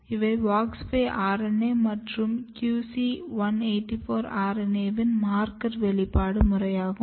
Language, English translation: Tamil, And these are just the marker expression pattern for WOX5 RNA and QC 184 RNA